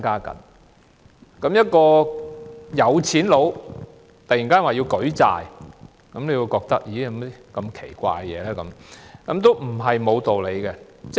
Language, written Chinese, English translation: Cantonese, 當一個富豪突然說要舉債，大家也會感到很奇怪，但這並非完全沒有道理的。, When a tycoon suddenly says he needs to raise a loan we will feel surprised but this is not totally unreasonable